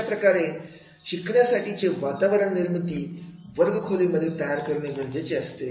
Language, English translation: Marathi, So, therefore this will be the learning environment which we create in the classroom